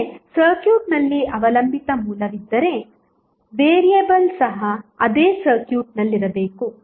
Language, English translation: Kannada, That means if there is a dependent source in the circuit, the variable should also be in the same circuit